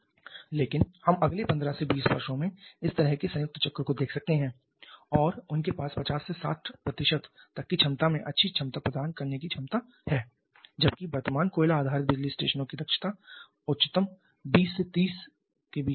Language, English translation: Hindi, But we may seen such kind of combined cycle in practice in next 15 to 20 years and they have the potential of offering huge efficiency well in the range of 50 to 60% whereas present coal blaze power stations can have efficiency will only in the high 20s or very low 30’s and the same about nuclear plants as well